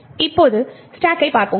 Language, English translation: Tamil, Now let us look at the stack